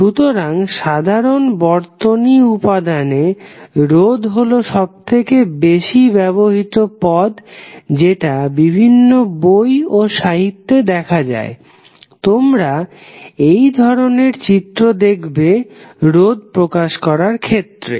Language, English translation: Bengali, So, in common circuit elements, resistance is one of the most common and you will see that in the various literature and books, you will see this kind of figure represented for the resistance